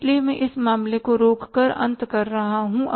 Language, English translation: Hindi, So, I am ending up stopping with this case